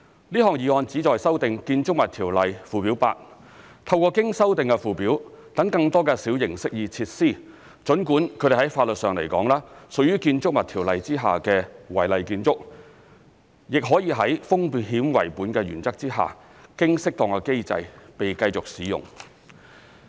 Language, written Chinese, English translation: Cantonese, 這項議案旨在修訂《建築物條例》附表 8， 透過經修訂的附表讓更多的小型適意設施——儘管它們在法律上來說，屬於《建築物條例》下的違例建築——亦可以在"風險為本"的原則下，經適當的機制被繼續使用。, The purpose of this resolution is to amend Schedule 8 to the Buildings Ordinance in order to allow a greater number of minor amenity features in that amended Schedule though they legally remain as unauthorized under the Ordinance to continue to be used under the risk - based principle through an appropriate mechanism